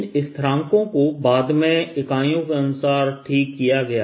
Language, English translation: Hindi, these constants were fix later according to units i d l